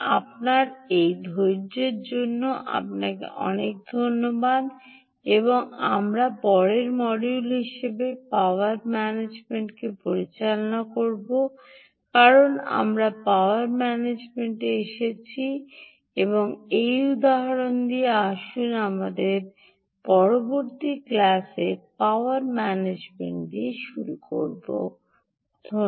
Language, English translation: Bengali, thank you very much, ah um on this of your patience, and we will handle power management as a next module in our, because we got into power management and with this example, let us start with the power management in our next class